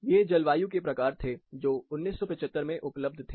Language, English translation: Hindi, These were the type of climates, which were available way back in 1975